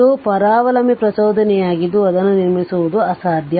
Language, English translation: Kannada, It is parasitic inductance it is impossible to construct right